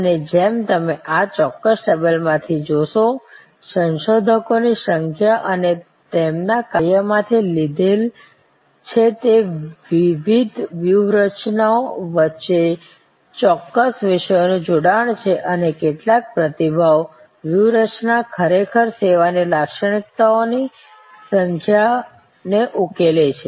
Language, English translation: Gujarati, And as you will see you from this particular table, borrowed from number of researcher and their work that there is a certain thematic linkage among those various strategies and some of the response strategies actually tackle number of service characteristics